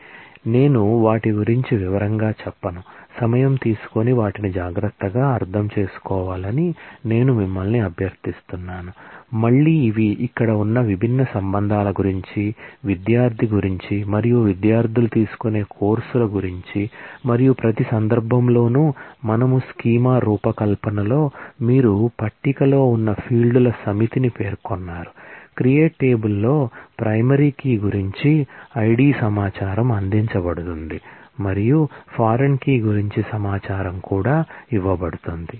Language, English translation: Telugu, So, I will not go through them in detail, I will request you to take time and carefully understand them, again these are about different relations that exist here, about the student and about the courses that the students take, and in every case we have specified the set of fields, that you have in the table in the design of the schema are listed, in the create table the ID information about the primary key is provided and also the information about the foreign key